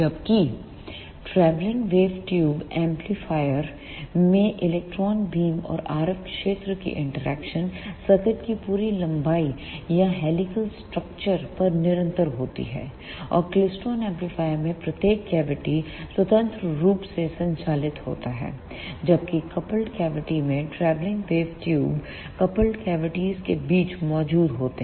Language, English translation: Hindi, Whereas, in the travelling wave tube amplifier, the interaction of electron beam and the RF field is continuous over the entire length of the circuit or over the entire helical structure; and in klystron amplifiers each cavity operates independently, whereas in coupled cavity travelling wave tubes coupling edges between the cavities